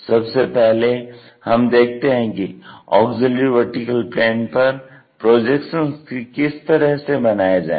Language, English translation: Hindi, First of all we will learn how to construct projection onto auxiliary vertical plane